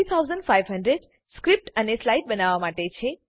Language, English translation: Gujarati, 3,500 to create script and slides Rs